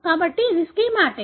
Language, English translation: Telugu, So, this is the schematic